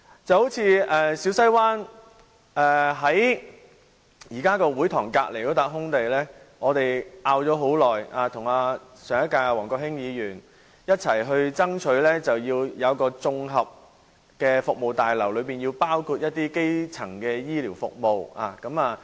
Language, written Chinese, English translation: Cantonese, 就如小西灣會堂旁邊那片空地，我們爭拗了很久，我和上屆議員王國興向不同部門反映，爭取興建一座綜合服務大樓，其中包括基層醫療服務。, A case in point is the land lot next to the Siu Sai Wan Community Hall . We have argued about its use for a long time . I and Mr WONG Kwok - hing Member of the Legislative Council in the last term have relayed the demand to various government departments to build a community centre on that land lot to provide various services including primary health care service